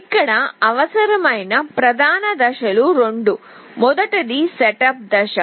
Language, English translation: Telugu, The main phases that are required here are two, one is the setup phase